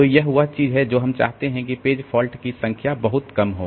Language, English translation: Hindi, So, that is the thing that we want, that the number of page faults will be pretty low